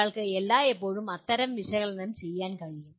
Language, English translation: Malayalam, One can always do that kind of analysis